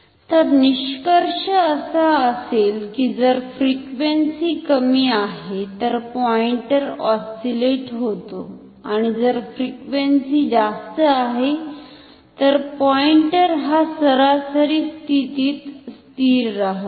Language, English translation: Marathi, So, the conclusion will be if frequency is low pointer oscillates and if frequency is high, then pointer stays steadily at an average position